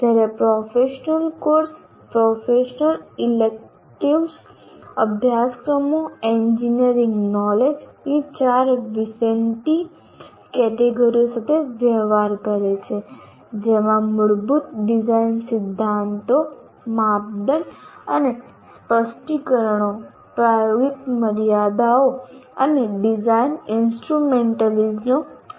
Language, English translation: Gujarati, Whereas courses belonging to professional course, core professional electives deal with the four general categories of knowledge and the four Vincenti categories of engineering knowledge including fundamental design principles, criteria and specifications, practical constraints and design instrumentalities